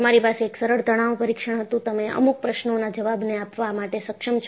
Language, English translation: Gujarati, You had one simple tension test; you are able to answer certain questions